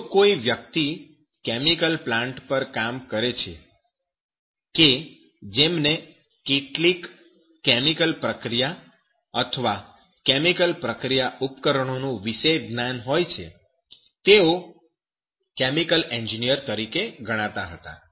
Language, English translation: Gujarati, If anybody works on the chemical plants which some special knowledge of some chemical reaction or some knowledge of chemical process equipment